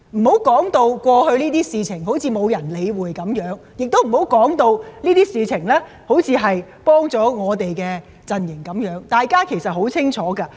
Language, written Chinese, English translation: Cantonese, 不要將過去的事情說成沒人理會一樣，亦不要說成我們的陣營因而有所得益一樣，大家對此是很清楚的。, One should not say that the complaints in the past have not been dealt with or our camp has benefited as a result . We know that all too well